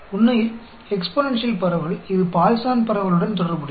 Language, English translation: Tamil, Actually, exponential distribution, it is related to Poisson distribution